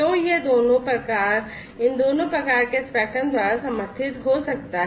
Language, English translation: Hindi, So, it can be supported by both of these types of you know spectrum and